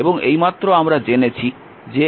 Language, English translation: Bengali, Now i 1 is equal to v upon R 1 i 2 is equal to v upon R 2